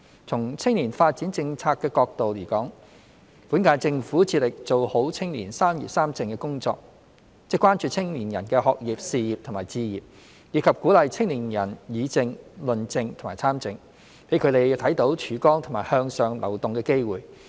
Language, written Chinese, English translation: Cantonese, 從青年發展政策的角度而言，本屆政府致力做好青年"三業三政"工作，即關注青年人的學業、事業和置業，以及鼓勵青年人議政、論政和參政，讓他們看到曙光和向上流動的機會。, Speaking of youth development policy the current - term Government strives to do our best in youth development work by addressing their concerns about education career pursuit and home ownership and encouraging their participation in politics as well as public policy discussion and debate . In so doing they will see hope and opportunities for upward mobility